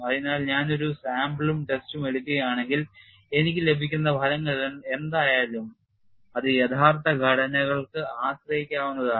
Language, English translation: Malayalam, So, if I take a sample and test, whatever the results I get that could be dependably used for actual structures